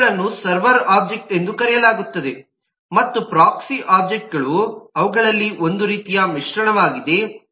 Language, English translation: Kannada, these are known as server objects and the proxy objects are kind of mixture of them